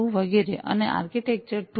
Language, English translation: Gujarati, 2 etcetera, and architecture 2, 2